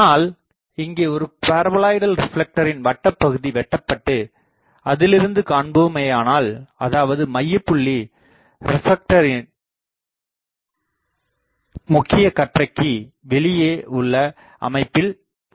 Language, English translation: Tamil, But so, that means, a circular section of a paraboloidal reflector may be cut out such that the focal point lies outside the main beam of the reflector